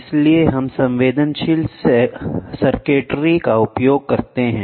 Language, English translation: Hindi, So, we use sensitive circuitry